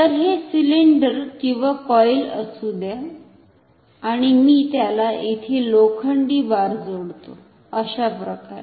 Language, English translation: Marathi, So, let this be the cylinder or the coil and let me attach iron bar to it like this, so the arrangement is like this